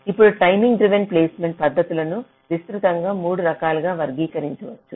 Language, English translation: Telugu, now, timing driven placement techniques can be broadly categorized into three types